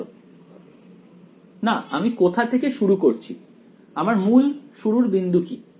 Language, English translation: Bengali, No where am I starting from what is the original starting point